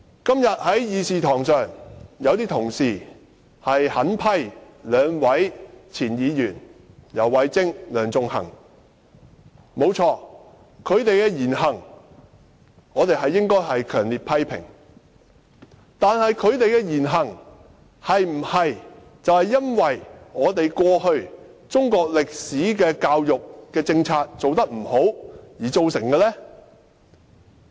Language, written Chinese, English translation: Cantonese, 今天有些同事在會議廳內狠批兩名前候任議員游蕙禎和梁頌恆，他們的言行沒錯是應該受到強烈批評，但他們這種言行是否由於過去中國歷史科的教育政策做得不好而造成的呢？, Today in this Chamber some colleagues have hurled severe criticisms at two former Members - elect YAU Wai - ching and Sixtus LEUNG . While their words and deeds should be strongly condemned can we attribute this to a failure of the previous education policy on Chinese history?